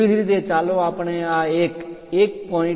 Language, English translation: Gujarati, Similarly, let us look at this one 1